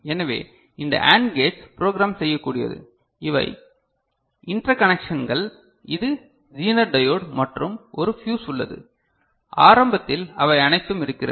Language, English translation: Tamil, So, this AND gates this plane is programmable, so these are the interconnections you can see this is zener diode and there is a fuse, initially all of them are there